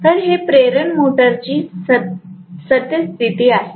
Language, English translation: Marathi, So this is the current of the induction motor